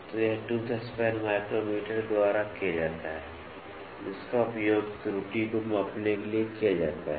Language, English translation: Hindi, So, this is done by tooth span micrometer, which is used to measure the error tooth span micrometer